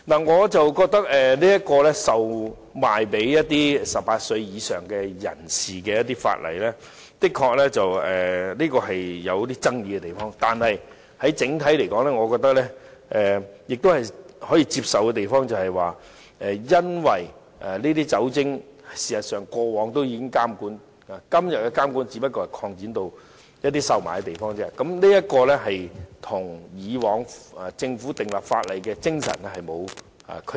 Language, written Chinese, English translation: Cantonese, 我覺得規管售賣酒精類飲品予18歲以上人士的法例，的確有爭議的地方，但整體來說，我覺得可以接受的是，過往事實上也有對酒精類飲品的監管，今天只是把監管擴展至售賣的地方，這跟以往政府訂立法例的精神沒有區別。, I hold that the ordinance on regulating the sale of alcoholic beverages to adults are controversial but on the whole I agree that alcoholic beverages have all along been regulated just that the Government now wants to extend the scope of regulation to places where alcoholic beverages are sold and this is consistent with the spirit of the ordinance when it was laid down by the Government